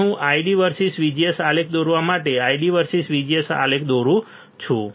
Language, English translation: Gujarati, Now I am drawing ID versus VGS plot for drawing ID versus VGS plot